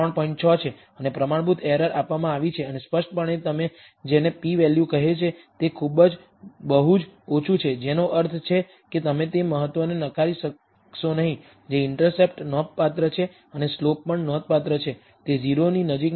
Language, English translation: Gujarati, 6, and standard errors given and clearly the what you called the p value is very, very low; which means that you will not reject the significance that is the intercept is significant and the slope is also significant, they are not close to 0